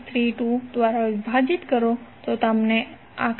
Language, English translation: Gujarati, 632, you will get current as 12